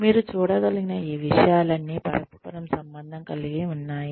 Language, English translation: Telugu, All of these things as you can see are interrelated